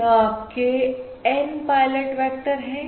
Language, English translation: Hindi, These are basically your, these are basically your N pilot vectors